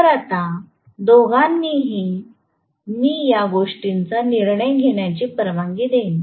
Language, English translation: Marathi, So, both will allow me to decide these things now